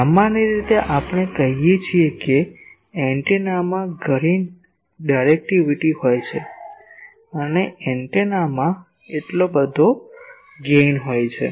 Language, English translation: Gujarati, Generally we say an antenna has so much directivity and the antenna has so, much gain